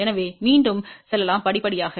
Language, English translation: Tamil, So, let us go again step by step